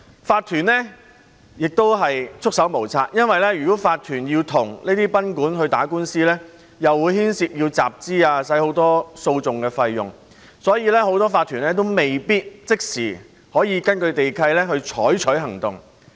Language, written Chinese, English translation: Cantonese, 法團也束手無策，因為如果法團與這些賓館打官司，便會牽涉到集資，要花很多訴訟費用，所以很多法團未必可以即時根據地契採取行動。, Incorporated owners could do nothing about it because if incorporated owners were to take legal actions against these guesthouses it would require fund raising and the legal costs would be huge . For that reason incorporated owners might not be able to take actions according to the relevant deeds of mutual covenant